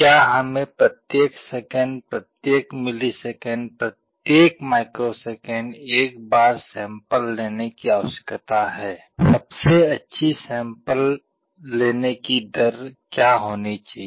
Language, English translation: Hindi, Should we sample once every second, once every millisecond, once every microsecond, what should be the best sampling rate